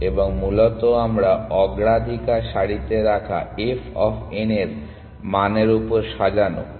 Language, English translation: Bengali, And essentially we keep the priority queue sorted on this value of f of n essentially